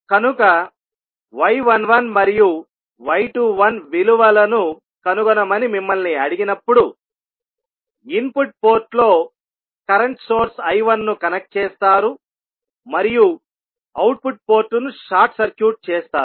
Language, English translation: Telugu, We will determine the value of y 11 and y 21 so when you are asked to find the value of y 11 and y 21 we will connect one current source I 1 in the input port and we will short circuit the output port so the circuit will be as shown in the figure